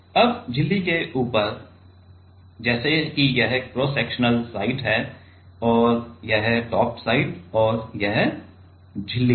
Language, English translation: Hindi, Now on top of the membrane, now let us say this is the cross sectional side and this is the top side and this is the membrane